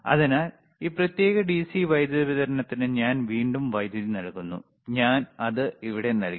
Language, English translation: Malayalam, So, again I am giving a power to this particular DC power supply, and I given it to here